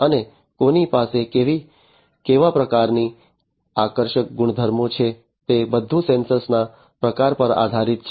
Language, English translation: Gujarati, And who has what type of attractive properties it all depends on the type of sensor